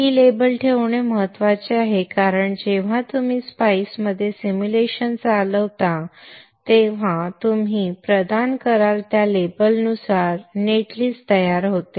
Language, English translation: Marathi, Placing these labels are important because when you run the simulation in spice the net list is generated according to the labels that you would provide